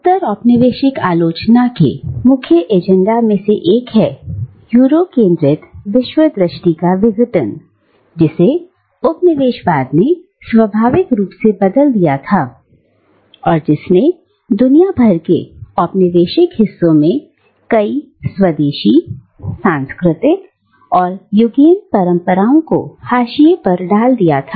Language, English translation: Hindi, One of the main agendas of postcolonial criticism has been the dismantling of the Eurocentric worldview, which colonialism had naturalised and which had, in turn, marginalised numerous indigenous cultural and epistemic traditions across the colonised parts of the world